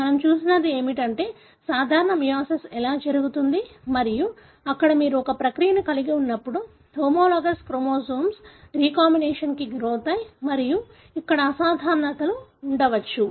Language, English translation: Telugu, What we have seen is that how a normal meiosis takes place and wherein you have a process the homologous chromosomes undergo recombination and there could be abnormalities here